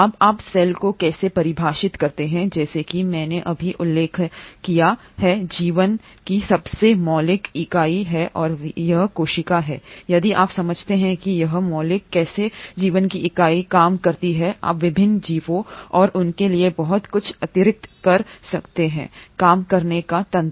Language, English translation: Hindi, Now how do you define cell; as I just mentioned it is the most fundamental unit of life and it is this cell if you understand how this fundamental unit of life works you can kind of extrapolate a lot to the various organisms and their mechanisms of working